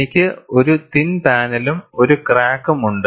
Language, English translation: Malayalam, I have a thin panel and I have a crack